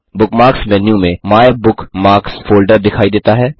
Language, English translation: Hindi, The MyBookMarks folder is displayed in the Bookmarks menu